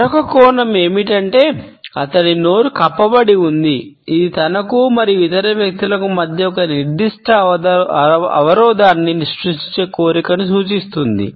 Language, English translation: Telugu, Another aspect is that his mouth has been covered which is indicative of a possible deception or a desire to create a certain barrier between himself and the other people